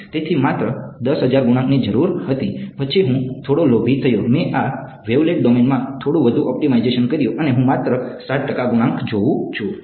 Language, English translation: Gujarati, So, only 10000 coefficients were needed, then I got a little bit greedy I did a little bit more optimization within this wavelet domain and I look at only 7 percent coefficients